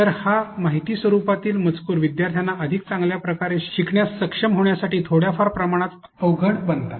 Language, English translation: Marathi, So, this amount of informational text becomes a little bit cumbersome for students to be able to follow to be able to learn better